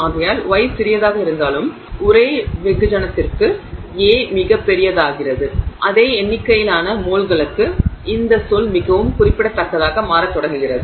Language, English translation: Tamil, And therefore even if the gamma is small, because the A becomes very large for the same mass, same number of moles, this term starts becoming very significant